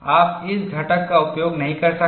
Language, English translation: Hindi, You cannot use this component at all